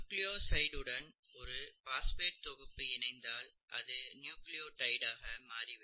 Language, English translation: Tamil, To a nucleoside if you add a phosphate group, it becomes a nucleotide, okay